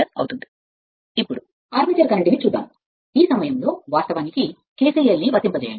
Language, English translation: Telugu, Now armature current, this I a at this point, you apply kcl